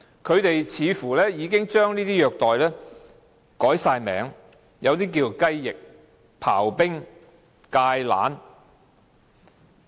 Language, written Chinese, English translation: Cantonese, 他們已經將這些虐待方式套以一些名稱，例如"雞翼"、"刨冰"、"芥蘭"。, They have different names for different ways of torture such as chicken wing chip ice and kale . Chicken wing means hitting the back of offenders with ones elbow